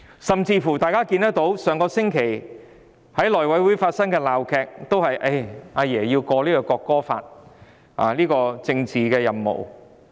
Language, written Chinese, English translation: Cantonese, 上星期內務委員會發生鬧劇，亦是因為"阿爺"要求通過《國歌條例草案》的政治任務。, The farce in the House Committee occurred last week is due to the demand of Grandpa for accomplishing the political mission of passing the National Anthem Bill